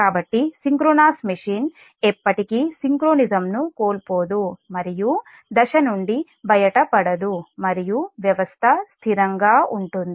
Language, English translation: Telugu, so synchronous machine will never lose synchronism and will or not fall out of step and system will remain stable